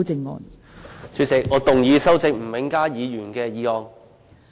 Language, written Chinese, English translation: Cantonese, 代理主席，我動議修正吳永嘉議員的議案。, Deputy President I move that Mr Jimmy NGs motion be amended